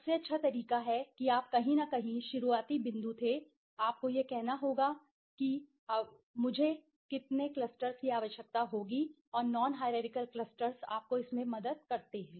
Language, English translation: Hindi, And the best way is you were somewhere the starting point, you have to say that how many clusters will I need and non hierarchical clusters helps you in that okay